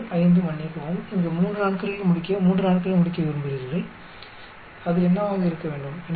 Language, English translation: Tamil, 2 comma 5 sorry, want to finish it in 3 days as here at most 3 days, what it should be there